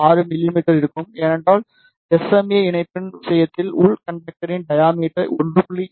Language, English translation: Tamil, 6 mm, because I told you the diameter of the inner conductor in case of SMA connector is 1